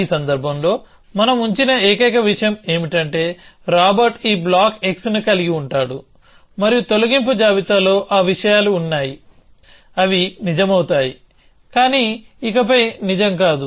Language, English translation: Telugu, In this case the only thing we are put is that the Robert will be holding this block x and the delete list contains those things, which will become true, but no longer true